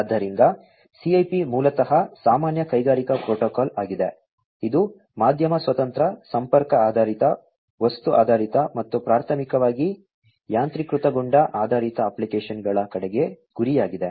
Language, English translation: Kannada, So, CIP basically is the Common Industrial Protocol, which is media independent, connection based, object oriented, and primarily targeted towards automation based applications